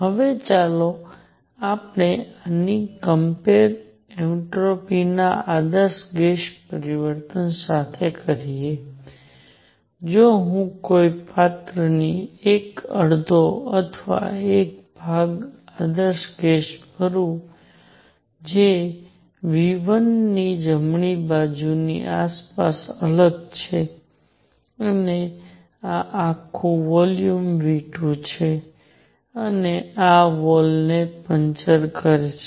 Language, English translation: Gujarati, Now, let us compare this with an ideal gas change of entropy, if I take an ideal gas fill 1 half or 1 portion of a container which is isolated from surroundings right of V 1 and this whole volume is V 2 and puncture this wall